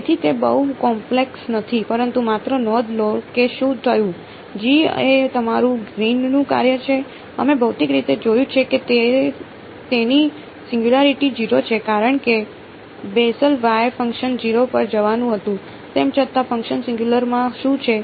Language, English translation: Gujarati, So, it is not very complicated, but just notice what happened, G is your greens function, we have intuit physically seen that it has a singularity at 0 because at a Bessel y function was going to 0, even though the function is singular what is the integral of that function